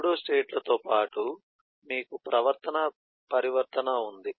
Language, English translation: Telugu, besides the pseudostates, you have the behavioral transition